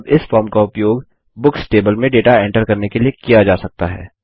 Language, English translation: Hindi, And this form, now, can be used to enter data into the Books table